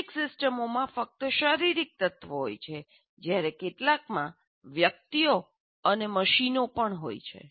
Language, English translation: Gujarati, Some systems consist only of physical elements, while some will have persons and machines also